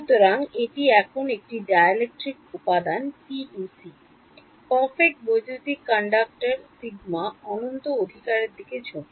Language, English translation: Bengali, So, this is a dielectric material now PEC: Perfect Electric Conductor sigma tends to infinity right